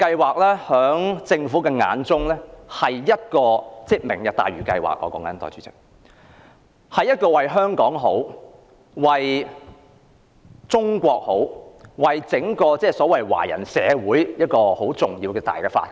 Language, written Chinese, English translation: Cantonese, 在政府眼中，"明日大嶼"計劃不止為香港好，也為中國好，更是為整個華人社會好的重大發展。, In the eyes of the Government the Lantau Tomorrow project is not only good for Hong Kong but also good for China and it is a major development that is good for the entire Chinese community